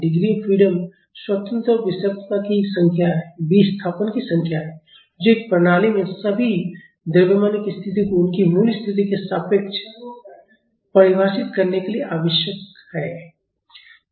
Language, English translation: Hindi, The degree of freedom is the number of independent displacements required to define the positions of all masses in a system relative to their original position